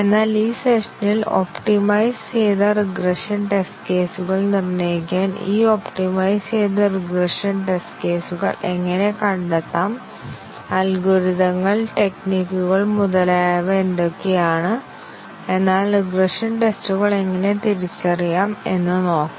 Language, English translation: Malayalam, But during this session it will be out of scope to identify, how to get these optimized regression test cases, what are the algorithms, techniques, etcetera, to determine the optimized regression test cases, but we will look at how to identify the regression tests